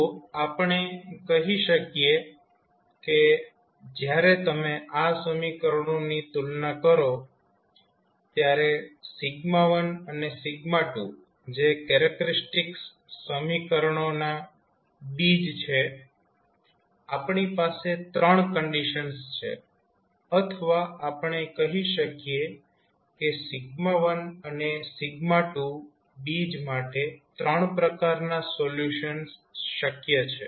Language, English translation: Gujarati, So what we can say that when you compare these equations then you can say that sigma1 and sigma2 which are the roots of the characteristic equations we have 3 conditions or we say that there are 3 possible types of solutions related to the roots of sigma 1 and sigma 2